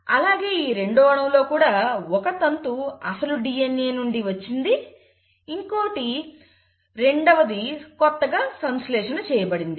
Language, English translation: Telugu, The same thing happens in this molecule, one strand is from the parental DNA, the other strand is the newly synthesised strand